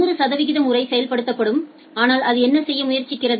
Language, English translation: Tamil, For a 100 percent times that will get executed, but what it tries to do